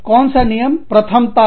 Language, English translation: Hindi, Which rules will take precedence